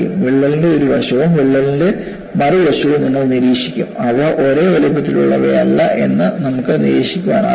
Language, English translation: Malayalam, Then you will observe the fringes on one side of the crack and other side of the crack, are not of same size, which you could observe